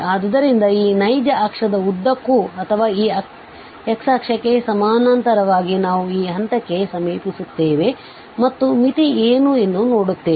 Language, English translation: Kannada, So, we will approach to this point along this or parallel to this x axis along this real axis and see that what is the limit